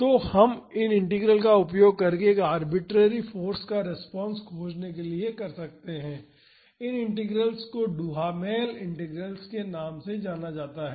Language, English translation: Hindi, So, we can use these integrals to find the response to a arbitrary force, and these integrals are known as Duhamel Integrals